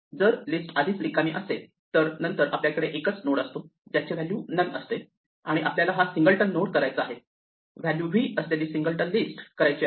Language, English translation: Marathi, If the list is already empty, then we have a single node which has value none and we want to make it a singleton node, a singleton list with value v